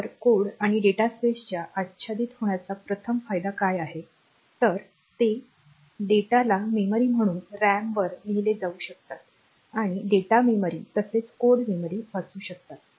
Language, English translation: Marathi, So, what is the advantage first of all this overlapping of code and dataspace is it allows the RAM to be written as data memory, and read as the data memory as well as code memory